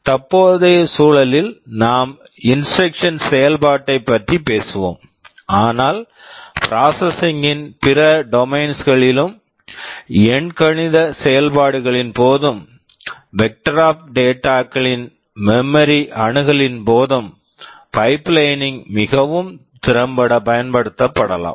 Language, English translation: Tamil, In the present context we are talking about instruction execution, but pipelining can be used very effectively in other domains of processing also, during arithmetic operations, during memory access of a vector of data, etc